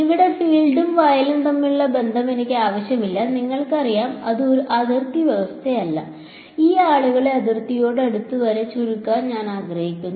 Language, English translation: Malayalam, I do not want the relation between field here and field here that is all you know you it is not a boundary condition I want to shrink these guys these guys down to as close to the boundary